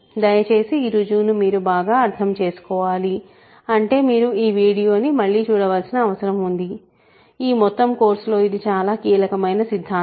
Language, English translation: Telugu, So, please make sure that you watch this again if you need to and understand this proof; this is a very crucial theorem in this whole course